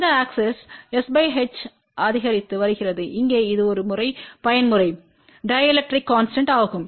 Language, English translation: Tamil, And s by h is increasing along this axes and this one here is a even mode effective dielectric constant